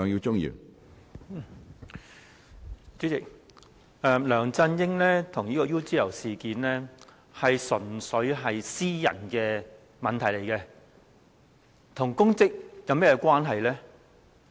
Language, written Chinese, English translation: Cantonese, 主席，梁振英和 UGL 事件純粹是私人問題，與其公職有何關係呢？, President the dealings between LEUNG Chun - ying and UGL are private business . Why should such dealings have anything to do with his public office?